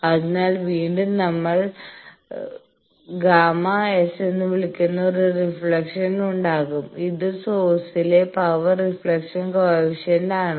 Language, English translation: Malayalam, So, again there will be a reflection that we are calling gamma s, the power reflection coefficient at the source